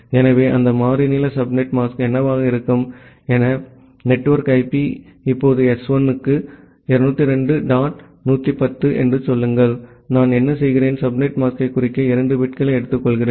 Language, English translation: Tamil, So, what will be that variable length subnet mask, say my network IP is 202 dot 110 now for S1, what I do that I take 2 bits to denote the subnet mask